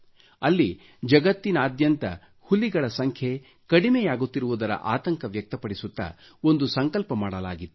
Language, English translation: Kannada, At this summit, a resolution was taken expressing concern about the dwindling tiger population in the world